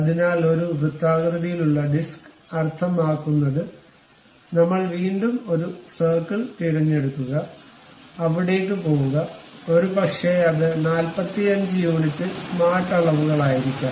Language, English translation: Malayalam, So, a circular disc means again we pick a circle, go there, maybe it might be of smart dimensions 45 units, done